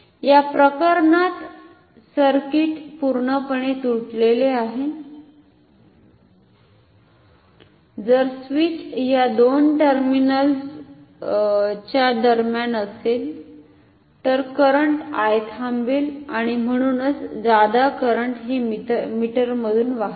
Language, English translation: Marathi, In this case the circuit is broken completely so, the current I will stop when the switch is here between two terminals and therefore, excess current does not flow through the meter